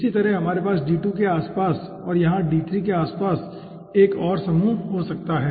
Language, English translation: Hindi, similarly, we have another one around d2 and here around d3